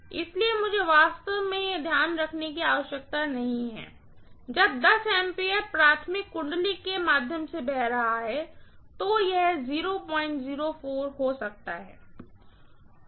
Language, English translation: Hindi, So, I really do not have to take that into consideration, when 10 ampere is flowing through the primary winding, this may be 0